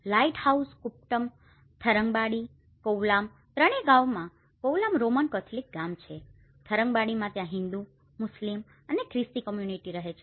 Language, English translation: Gujarati, Lighthouse kuppam, Tharangambadi, Kovalam in all the three villages Kovalam is a Roman Catholic village, Tharangambadi is a mix like which is a Hindu, Muslim and Christian community lives there